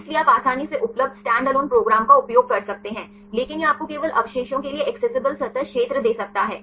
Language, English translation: Hindi, So, you can easily use standalone program is available, but it can give you the accessible surface area for only the residues